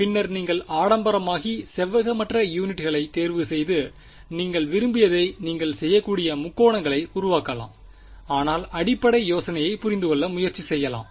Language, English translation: Tamil, Later on you can go become fancy and choose non rectangular units you can make triangles you can make whatever you want, but the basic idea let us try to understand